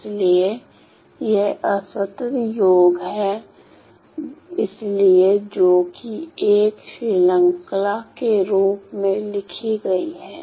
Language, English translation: Hindi, So, this is discrete sum; so, discrete sum written in the form of a series